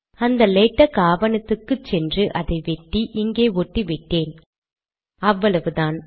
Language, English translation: Tamil, All that I have done is, I went to that latex document, cut and pasted it here, thats all